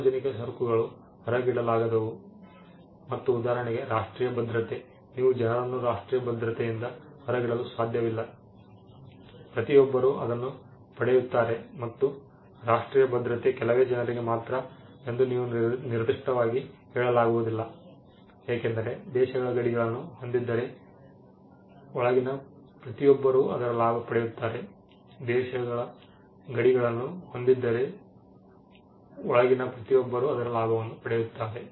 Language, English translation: Kannada, Public goods by definition are non excludable and non rivalrous for instance national security, you cannot exclude people from national security everybody gets it and you cannot specifically say that national security is only for few people; because, if the countries boundaries are bordered everybody in inside gets to gets the benefit of it